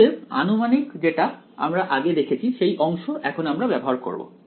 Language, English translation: Bengali, So, that approximation which we have seen before that is the part that we are going to use